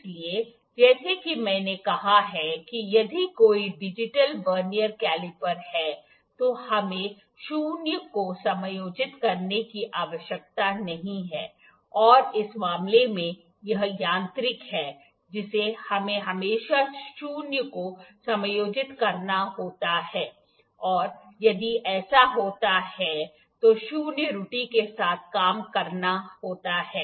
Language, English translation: Hindi, So, as I said if there is a digital Vernier caliper we need not to adjust the zero and in this case, this is the mechanical one we always have to adjust the zero and work with the zero error if it occurs